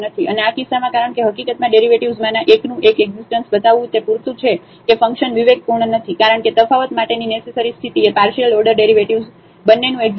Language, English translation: Gujarati, And, in this case since in fact, showing the existence of one of the derivatives is enough to tell that the function is not differentiable because the necessary condition for differentiability is the existence of both the partial order derivatives